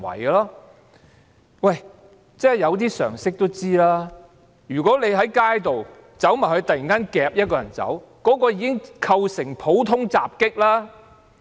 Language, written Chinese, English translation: Cantonese, 稍具常識的人也會知道，如果你在街上突然擄走一個人，便已構成普通襲擊罪。, As people having some common knowledge would know if you suddenly snatched away someone in the street you commit the offence of common assault